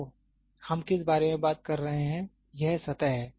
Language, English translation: Hindi, So, what are we talking about is this surface